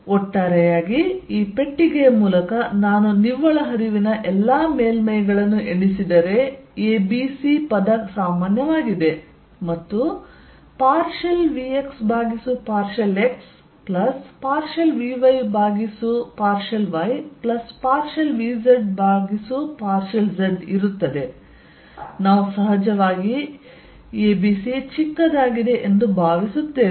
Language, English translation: Kannada, So, over all through this box if I count all the surfaces in net flow is a b c is common partial vx by partial x plus partial vy by partial y plus partial vz the partial z we of course, assume that a b c is small